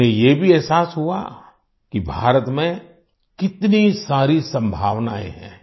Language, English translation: Hindi, They also realized that there are so many possibilities in India